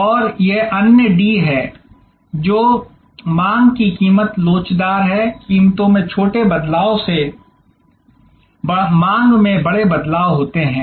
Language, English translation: Hindi, , which is demand is price elastic, small changes in prices lead to big changes in demand